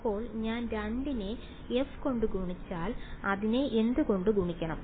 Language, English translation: Malayalam, So, if I take 2 multiplied by f of what should I multiply it by